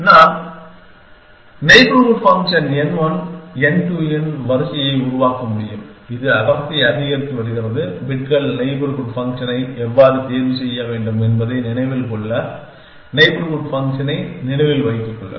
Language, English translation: Tamil, I can create a sequence of neighborhood function n one n two which is increasing density how should I choose bits neighborhood function to use remember neighborhood function same as move then essentially